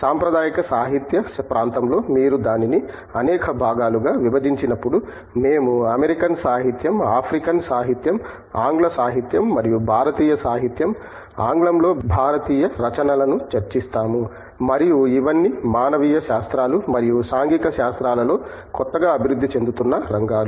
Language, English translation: Telugu, In the traditional area of literature when you divide it into several parts, we cover American literature, African literature, English literature, Indian literature, Indian writing in English and all of these are new emerging areas that have covered in humanities and social sciences